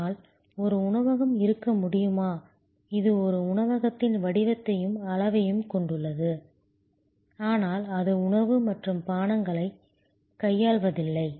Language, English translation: Tamil, But, can there be a restaurant, which has the shape and size of a restaurant, but it does not deal with food and beverage